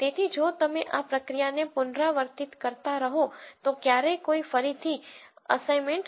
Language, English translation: Gujarati, So, if you keep repeating this process there is no never going to be any reassignment